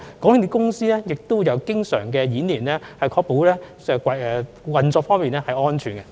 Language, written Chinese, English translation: Cantonese, 港鐵公司亦經常進行日常演練，確保運作安全。, MTRCL also conducts regular drills constantly to ensure operational safety